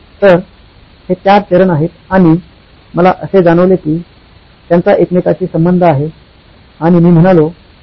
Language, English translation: Marathi, So, these are the four stages, and I found out they were correlated and I said, “Wow